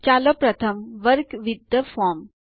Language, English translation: Gujarati, Let us Work with the form first